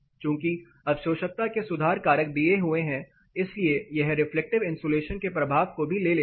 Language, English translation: Hindi, Since, they are given correction factors for absorptivity it takes the reflective component also